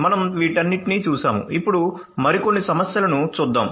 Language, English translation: Telugu, So, we have looked at all of these; now let us look at the few other issues